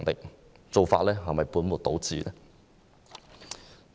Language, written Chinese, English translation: Cantonese, 這種做法是否本末倒置？, Isnt this approach putting the cart before the horse?